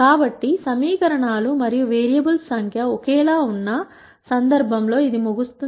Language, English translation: Telugu, So, that finishes the case where the number of equations and variables are the same